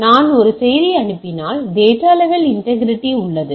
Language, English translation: Tamil, If I am sending a message, so the data level integrity is there